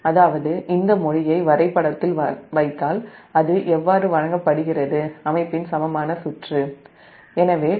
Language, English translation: Tamil, that means, if you put that, all this language in the diagram, that how it is given that equivalent circuit of the system